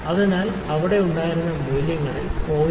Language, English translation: Malayalam, So because the values that we had there were in 0